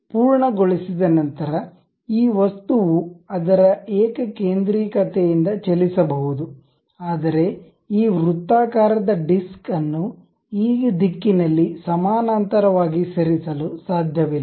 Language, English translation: Kannada, Once you are done, this object can move concentrically out of that only, but you cannot really move this circular disc away parallel to this in this direction